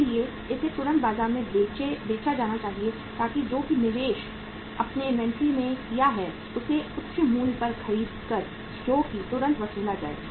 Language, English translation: Hindi, So that should be immediately sold in the market so that whatever the investment you have made in the inventory by buying it at a high price that is immediately recovered